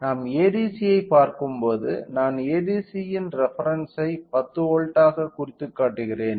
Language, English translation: Tamil, So, when we see ADC if I represent say the reference of ADC is of 10 volts right